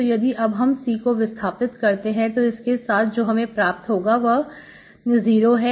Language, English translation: Hindi, So you eliminated C, so what you end up with is 0